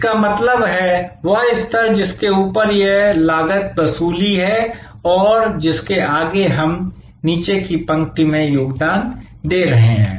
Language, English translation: Hindi, That means, the level beyond which up to which it is cost recovery and beyond which we are contributing to the bottom line